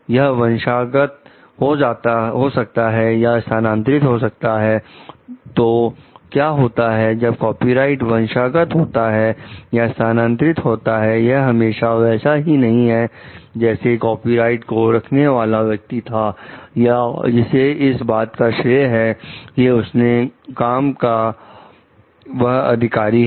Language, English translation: Hindi, It may be inherited or it may be transferred however so, what happens when that copyright is inherited or it is transferred, it may not always be like the copyright holder is the person, who has the credit for authoring the work like